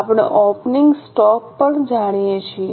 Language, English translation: Gujarati, We also know the opening stock